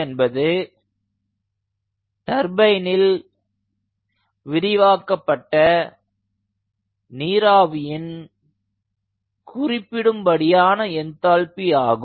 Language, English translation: Tamil, this is the specific enthalpy of steam expanding through the turbine